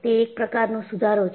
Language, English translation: Gujarati, So, that is an improvement